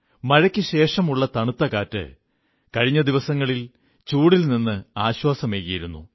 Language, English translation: Malayalam, As a result of the rains, the cool breeze has brought about some respite from the oppressive heat of past few days